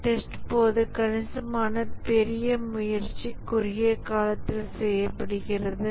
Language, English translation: Tamil, During testing significantly larger effort is done in a shorter time